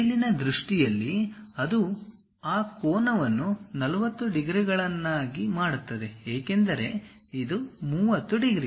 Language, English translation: Kannada, In the top view, it makes that angle 45 degrees; because this one is 30 degrees